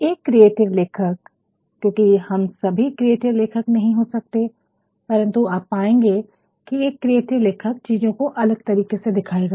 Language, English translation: Hindi, And, that is where creativity lies, a creative writer because all of us cannot be creative writer, but then a creative writer you will find will try to show you things in a different way